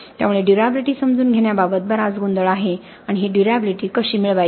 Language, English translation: Marathi, So there is a lot of confusion as far as understanding durability is concerned and how to achieve this durability